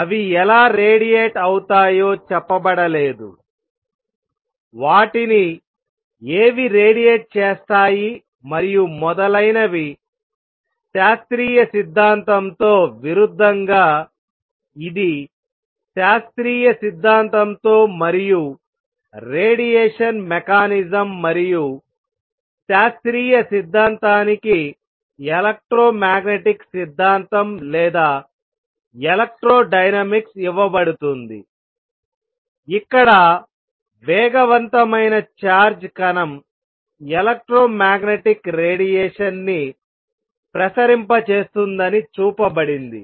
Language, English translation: Telugu, It has not been said how they radiate what makes them radiate and so on, contrast that with classical theory contrast this with classical theory and the radiation mechanism and classical theory is given an electromagnetic theory or electrodynamics where it is shown that an accelerating charged particle radiates electromagnetic radiation